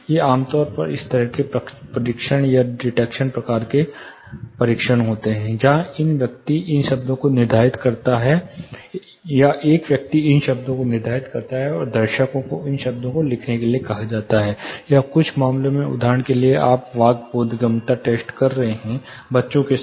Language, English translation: Hindi, These are typically a announcing kind of tests, where dictation kind of tests, where a person dictates these words ,and the audience they are asked to write down these words, or in some cases if you are doing for example, the speech intelligibility test with kids